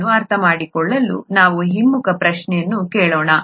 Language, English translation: Kannada, To understand that let us ask the reverse question